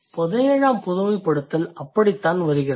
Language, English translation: Tamil, That is how the 17th generalization comes into existence